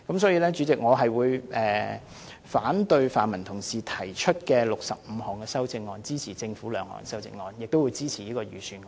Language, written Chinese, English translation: Cantonese, 因此，主席，我會反對泛民同事提出的65項修正案，支持政府2項修正案，亦會支持預算案。, Hence Chairman I will oppose the 65 amendments proposed by pan - democratic Members . However the 2 amendments moved by the Government and the Budget will have my support